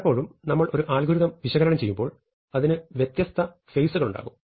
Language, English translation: Malayalam, So, very often when we are analyzing an algorithm, it will have different phases